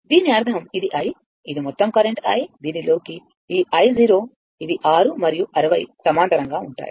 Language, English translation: Telugu, This means, this i; that is your total current i into your this ah this i 0 this is 6 and 60 are parallel